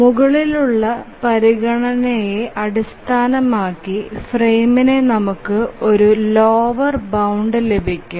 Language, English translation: Malayalam, So based on this consideration, we get a lower bound for the frame